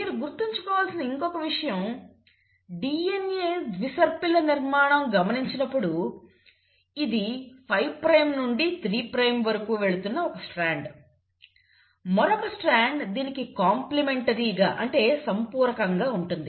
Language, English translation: Telugu, The other thing which you have to remember is that when you look at a DNA double helix; let us say this is one strand which is going 5 prime to 3 prime, the other strand is going to be complementary to it